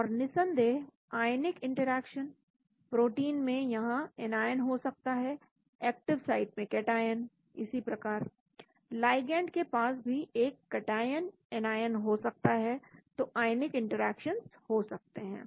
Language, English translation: Hindi, And of course ionic interaction, in the protein there could be here anion, cationic in the active site, similarly, the ligand also could have a cation, anion, so there could be ionic interactions